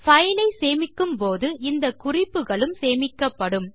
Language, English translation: Tamil, And when the file is saved, the comments are incorporated